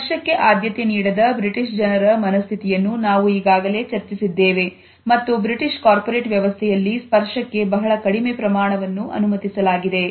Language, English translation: Kannada, We have already looked at the situation of the British people who do not prefer touch and we find that in the British corporate setting very small amount of touch is permissible